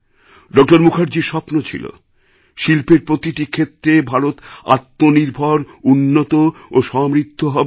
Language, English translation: Bengali, Mukherjee's dream was for India to be industrially selfreliant, competent and prosperous in every sphere